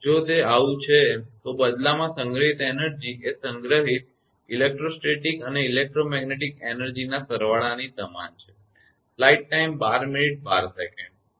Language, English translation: Gujarati, If it is so the energy stored in turn equal to the sum of the electrostatic and electromagnetic energies stored right